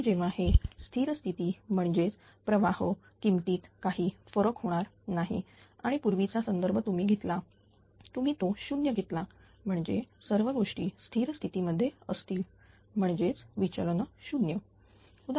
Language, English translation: Marathi, And when this is to a steady state; that means, there is no change in the current value and the previous dependence you take it will be 0 said means all these things it is in steady state means the derivative is 0, right